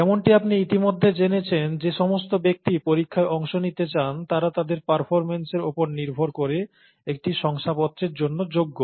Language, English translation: Bengali, And as you would already know, the people who opt to take the exam are eligible for a certificate depending on their performance